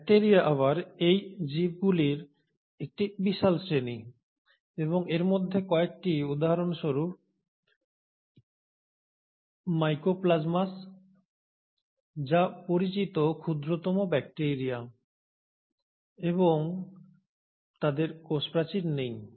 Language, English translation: Bengali, Now bacteria again is a huge class of these organisms and some of them are for example Mycoplasmas which are the smallest known bacteria and they do not have a cell wall